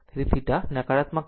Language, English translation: Gujarati, So, theta will be negative right